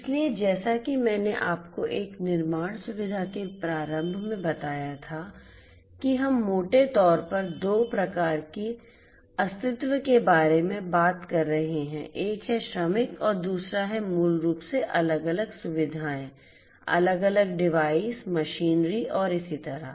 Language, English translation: Hindi, So, as I told you at the outset in a manufacturing facility we are talking broadly about two types of entities, one is the workers and second is basically the different you know the different facilities that are there, the different devices the machinery and so on and so forth